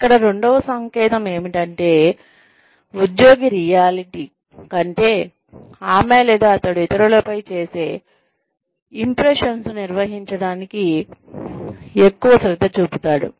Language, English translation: Telugu, The second sign here is, does the employee devote more attention to managing the impressions, she or he makes on others, than to reality